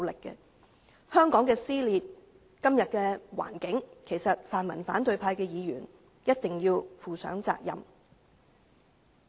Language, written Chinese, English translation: Cantonese, 對於今天香港的撕裂情況，其實泛民反對派的議員一定要負上責任。, In fact the pan - democratic Members of the opposition camp must bear the responsibility for the dissension in Hong Kong today